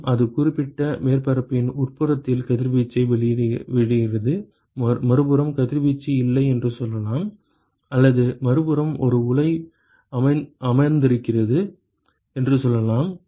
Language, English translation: Tamil, And it is emitting radiation on the inside of that particular surface, let us say that there is no radiation on the other side, or let us say there is a reactor sitting on the other side